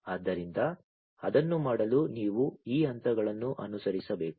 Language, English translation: Kannada, So, for doing that you have to follow these steps, right